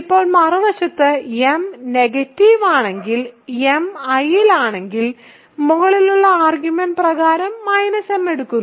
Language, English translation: Malayalam, Now, on the other hand if m is negative and m is in I, by the above argument, by the above argument applied to minus m right